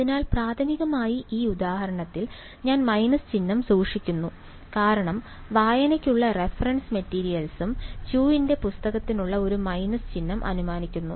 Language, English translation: Malayalam, So, my primarily in this example, I am keeping the minus sign because the reference material which is there for reading they also assume a minus sign which is in chose book